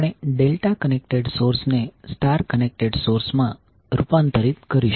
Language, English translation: Gujarati, We will convert delta connected source into star connected